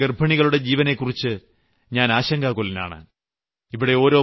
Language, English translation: Malayalam, I feel very concerned about the lives of pregnant women of our country